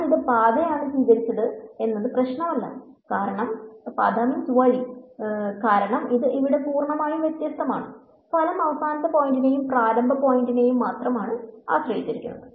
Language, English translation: Malayalam, It did not matter which path I took because this is a complete differential over here, the result depends only on the final point and the initial point